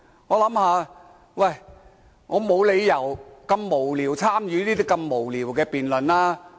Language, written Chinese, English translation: Cantonese, 我想沒理由如此無聊，參與那麼無聊的辯論。, I cannot think of any reason to participate in such a meaningless debate